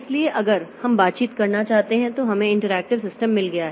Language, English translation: Hindi, So, if we want to have interactions then we have got interactive systems